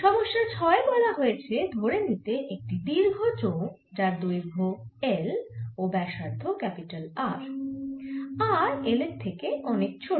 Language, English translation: Bengali, in problem number six it says: consider a long cylinder of length, l and radius r, r much less than l